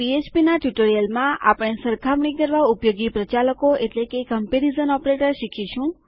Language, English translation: Gujarati, In this PHP tutorial we will learn about Comparison Operators